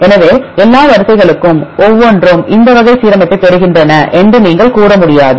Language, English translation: Tamil, So, you cannot say that every all for all sequences you get this type of alignment